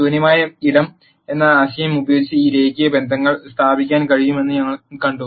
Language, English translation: Malayalam, We saw that we could establish these linear relationships using the concept of null space